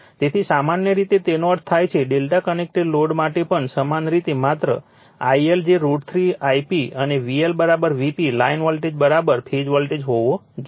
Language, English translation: Gujarati, So, similar way that means, similar way for delta connected load also, just I L should be your root 3 I p and V L should be is equal to V p, line voltage is equal to phase voltage